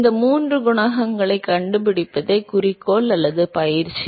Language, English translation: Tamil, The objective or the exercise is to find these 3 coefficients